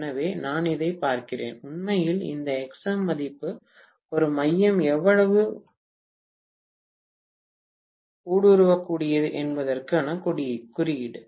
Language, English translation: Tamil, So, I am looking at this, actually this Xm value is an index of how permeable the core is, right